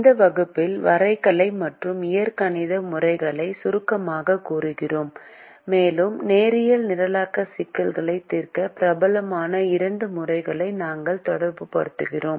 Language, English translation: Tamil, in this class we summarize the graphical and algebraic methods and we relate the two methods which are popular to solve linear programming problems